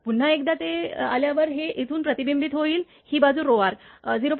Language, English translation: Marathi, So, once it is come here again it will be reflected from here with rho this side is 0